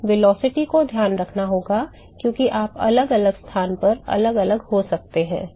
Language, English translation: Hindi, We have to take the velocity into account, because the u can be different at different location right